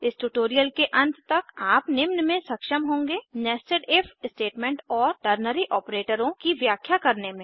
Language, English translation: Hindi, By the end of this tutorial you should be able to: Explain Nested If Statements and Ternary operators